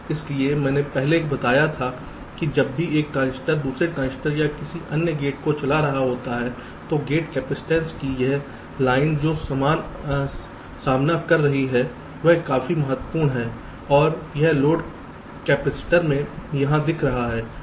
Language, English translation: Hindi, so i told earlier that whenever a transistors is driving another transistor or another gate, so the gate capacitance that the this line is facing, that is quite significant and it is that load capacitors i am showing here